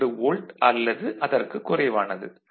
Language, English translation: Tamil, 2 volt, it can be less than that